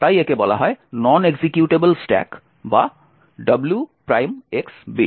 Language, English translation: Bengali, So, this is called the non executable stack or the W ^ X bit